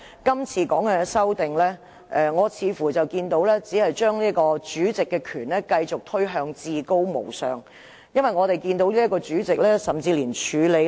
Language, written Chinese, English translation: Cantonese, 今次修訂《議事規則》，似乎是將主席的權力繼續推向至高無上，因為我們這位主席甚至連處理......, The current amendments to RoP seems to expand the powers of the President to a supreme level as our President can even President Mr IP Kin - yuen already pointed out to you yesterday that textual amendments should not be made in haste